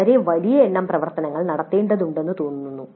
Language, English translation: Malayalam, It looks like a very large number of activities need to be performed